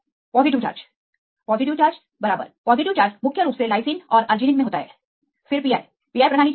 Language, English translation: Hindi, Positive charge right positive charge mainly lysine and arginine right then they pi what is the pi system